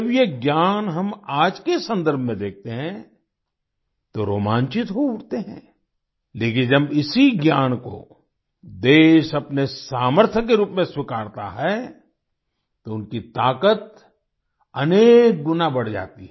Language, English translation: Hindi, When we see this knowledge in today's context, we are thrilled, but when the nation accepts this knowledge as its strength, then their power increases manifold